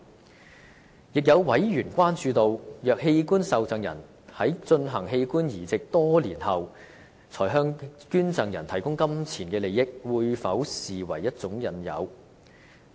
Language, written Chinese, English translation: Cantonese, 此外，有委員關注，若器官受贈人在進行器官移植多年後，才向捐贈人提供金錢利益，這會否被視為一種引誘。, Furthermore some members are concerned whether a pecuniary advantage provided by an organ recipient to a donor many years after the organ transplant will be regarded as an inducement